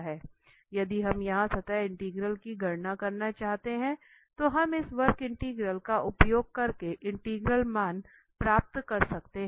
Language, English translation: Hindi, If we do not want to compute here the surface integral, the integral value we can get using this curve Integral